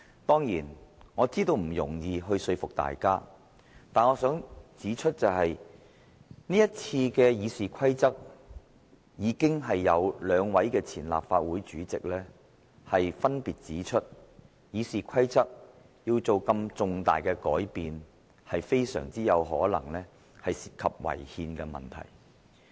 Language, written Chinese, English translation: Cantonese, 當然，我知道要說服大家並不容易，但我想指出，就這次對《議事規則》的修訂，已有兩位前立法會主席分別表示，《議事規則》如要作出這麼重大的改變，非常有可能涉及違憲的問題。, Of course I understand that it is not easy for Members to be convinced . But I wish to point out that with regard to these amendments to RoP two former Presidents of the Legislative Council have said separately that such major changes to RoP are very likely to involve the question of unconstitutionality